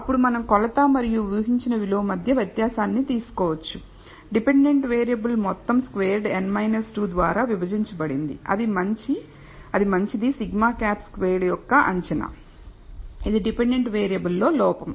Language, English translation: Telugu, Then we can take the difference between the measure and the predicted value of the dependent variable sum squared divided by n minus 2 that is a good estimate of sigma hat squared which is the error in the dependent variable